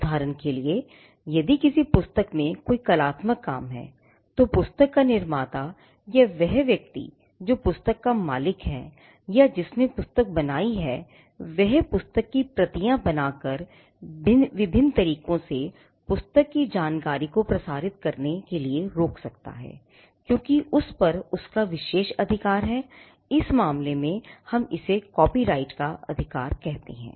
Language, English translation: Hindi, For instance, if there is an artistic work in the form of a book, then the creator of the book or the person who owns the book or who created the book could stop other people from using that book from making copies of that book from disseminating information from the book by different ways, because he has an exclusive right over it, in this case we call that right of copyright